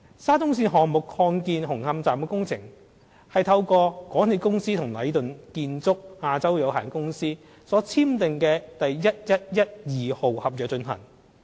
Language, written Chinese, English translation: Cantonese, 沙中線項目擴建紅磡站的工程，是透過港鐵公司與禮頓建築有限公司所簽訂的第1112號合約進行。, The expansion works of Hung Hom Station under the SCL project is carried out under Works Contract No . 1112 signed by the MTRCL and Leighton Contractors Asia Limited Leighton